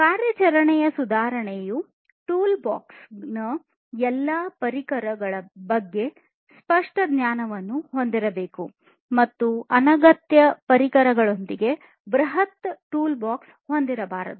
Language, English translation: Kannada, Operation improvement is vital company should have clear knowledge about all tools of the toolbox, and should not have massive toolbox with unnecessary tools